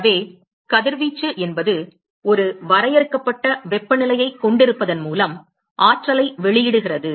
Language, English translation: Tamil, So, radiation is any matter emits energy simply by the virtue of having a finite temperature